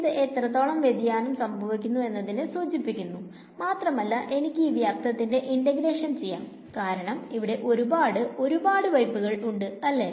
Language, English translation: Malayalam, This is the how much it diverges and I have to do this integration over the volume because there could be lots and lots of taps right